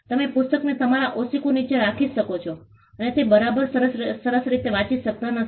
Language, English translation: Gujarati, You can even keep the book under your pillow and not read it at all perfectly fine